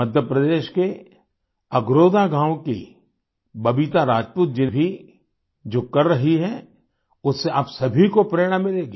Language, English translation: Hindi, The endeavour of Babita Rajput ji of village Agrotha in Madhya Pradesh will inspire all of you